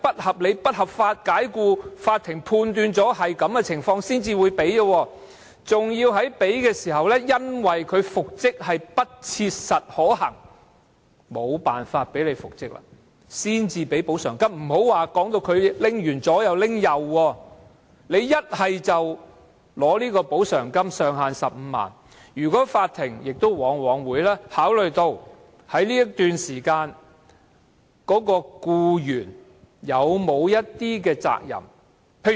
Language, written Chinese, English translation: Cantonese, 其實，僱員要麼得到上限為15萬元的補償金......法庭往往會考慮在該段時間僱員是否應負上責任。, The true fact is that the employee can either obtain the compensation capped at 150,000 the court will very often weigh the employees share of responsibility in the relevant period